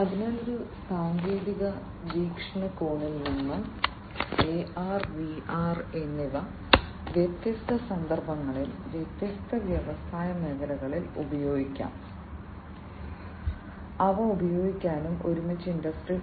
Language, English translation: Malayalam, So, from a technological perspective, both AR and VR they can be used in different context; different contexts they can be used, different industry sectors they can be used and together they can help in improving Industry 4